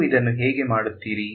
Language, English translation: Kannada, How would you do this